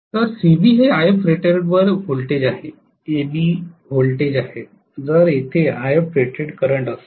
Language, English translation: Marathi, So c, b is the voltage at IF rated, a, b is the voltage, a current at IF rated